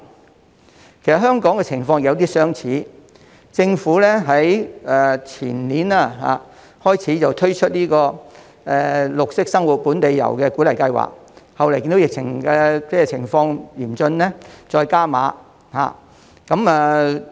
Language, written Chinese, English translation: Cantonese, 其實香港的情況有點相似，政府在前年開始推出綠色生活本地遊鼓勵計劃，後來因為疫情嚴峻，計劃獲再加碼。, In fact Hong Kong has been in a similar situation . The Government launched the Green Lifestyle Local Tour Incentive Scheme in the year before last . The Scheme was subsequently extended due to the severity of the pandemic